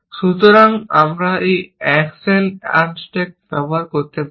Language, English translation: Bengali, So, we can use an action unstack